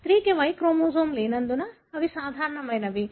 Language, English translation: Telugu, Because the female don’t have the Y chromosome, still they are normal